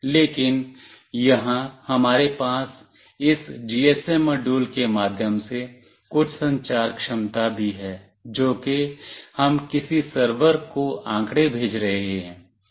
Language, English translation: Hindi, But, here we also have some communication capability through this GSM module that is what we are sending the data to some server